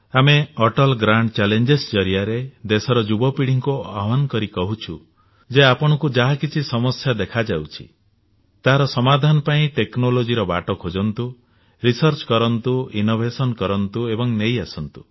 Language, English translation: Odia, Through the 'Atal Grand Challenges' we have exhorted the young generation of the country that if they see problems, they should search for solutions taking the path of technology, doing research, applying innovations and bring those on board